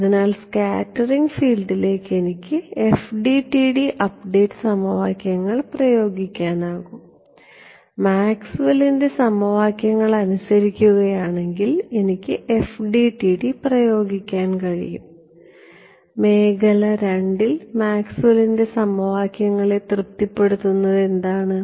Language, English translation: Malayalam, So, what no I can apply FDTD update equations to scattered field right if it obeys Maxwell’s equations I can apply FDTD to it in region II what satisfies Maxwell’s equations